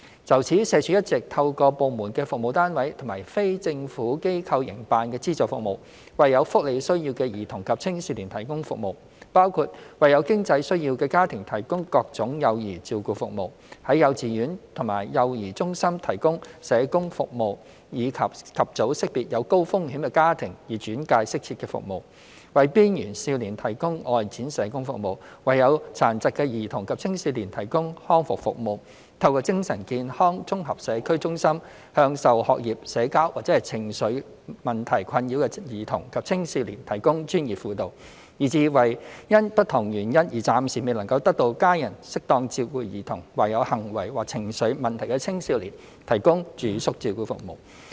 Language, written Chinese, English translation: Cantonese, 就此，社署一直透過部門的服務單位及非政府機構營辦的資助服務，為有福利需要的兒童及青少年提供服務，包括為有經濟需要的家庭提供各種幼兒照顧服務；在幼稚園及幼兒中心提供社工服務以及早識別有高風險的家庭以轉介適切的服務；為邊緣少年提供外展社工服務；為有殘疾的兒童及青少年提供康復服務；透過精神健康綜合社區中心向受學業、社交或情緒問題困擾的兒童及青少年提供專業輔導；以至為因不同原因而暫時未能得到家人適當照顧的兒童或有行為或情緒問題的青少年提供住宿照顧服務。, To this end SWD has all along served children and adolescents with welfare needs through its service units and the subvented services of non - governmental organizations . The relevant services include various child care services for families in financial difficulty; social work service in kindergartens and child care centres which seeks to identify high - risk families at an early stage and refer them to appropriate services; outreaching social work service for youth at risk; rehabilitation services for children and adolescents with disabilities; professional counselling service for children and adolescents with academic social or emotional problems provided in the Integrated Community Centre for Mental Wellness; and residential care services for children who are temporarily devoid of adequate family care for different reasons or adolescents with behavioural or emotional difficulties